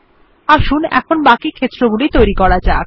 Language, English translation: Bengali, Let us create the rest of the fields now